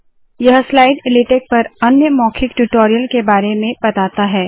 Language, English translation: Hindi, This slide talks about other spoken tutorials on latex